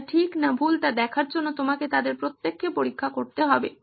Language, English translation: Bengali, You need to check each one of them to see if they are right or wrong